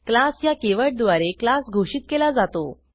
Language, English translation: Marathi, A class definition begins with the keyword class